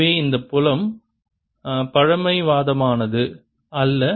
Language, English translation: Tamil, so this field is not conservative